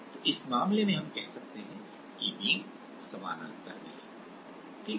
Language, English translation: Hindi, So, in these case we can say that the beams are in parallel, right